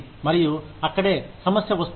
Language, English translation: Telugu, And, that is where, the problem comes in